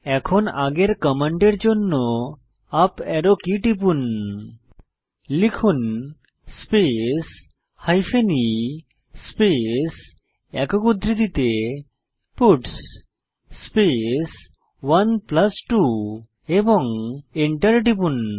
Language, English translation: Bengali, Lets try this out Now press the up Arrow key to get the previous command and Type space hyphen e space within single quotes puts space 1+2 and Press Enter